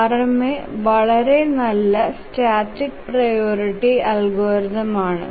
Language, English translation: Malayalam, So, RMA is a very good static priority algorithm